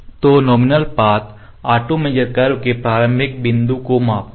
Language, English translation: Hindi, So, nominal path the auto measure auto measure the start point of the curve